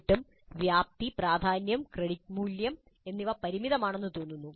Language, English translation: Malayalam, But still the scope, importance and create value seem to be fairly limited